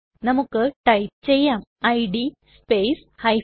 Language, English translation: Malayalam, Lets type id space g